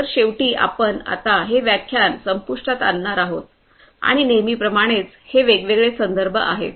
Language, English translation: Marathi, So, finally, we come to an end or in this lecture and as usual these are these different references